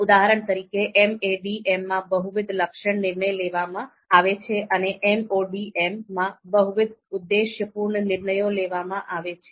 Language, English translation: Gujarati, For example, MADM which is multiple attribute decision making and MODM which is multiple objective decision making